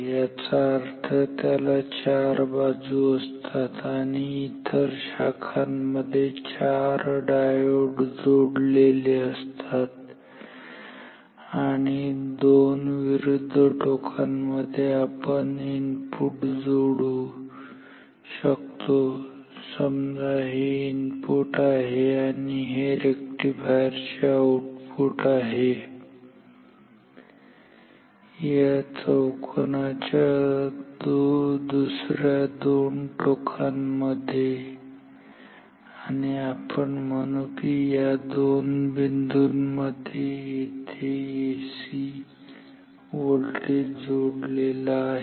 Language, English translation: Marathi, So, it is made up of four diodes in the form of a bridge so; that means, it has four arms and it has four diodes in the four branches and we can connect say the input between two opposite corners say this is the input and the output of this rectifier will be between the other two corners of this square or rhombus whatever you call and we would not say if a AC voltage is given between these two points say here